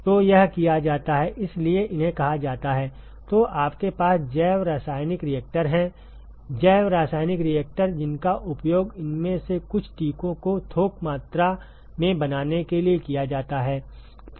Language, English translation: Hindi, So, this is done in; so these are called as; so you have biochemical reactors; biochemical reactors, which can be used for producing some of these vaccines in the bulk quantity